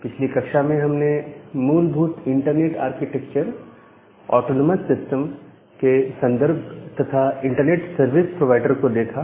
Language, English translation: Hindi, So, in the last class, we have looked into the basic internet architecture or in the terms of autonomous system and internet service providers